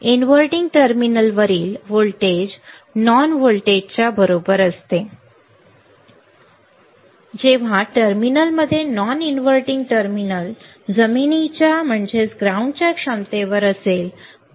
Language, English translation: Marathi, The voltage at the inverting terminal will be same as a voltage at the non when terminal in since the non inverting terminal is at ground potential